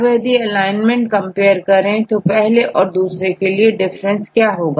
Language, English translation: Hindi, So, if you compare the alignment between one and 2 what is the difference